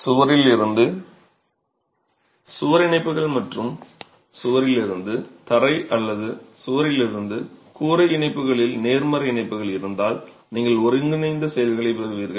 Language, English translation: Tamil, If you have good connections and positive connections, wall to wall connections and wall to floor or wall to roof connections, then you get integral action